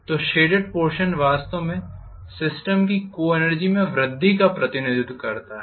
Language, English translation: Hindi, So the shaded area actually represents increase in co energy of the system